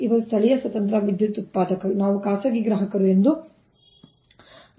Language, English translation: Kannada, these are the local independent power producers, we assume the private parties